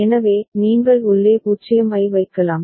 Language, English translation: Tamil, So, you can put a 0 inside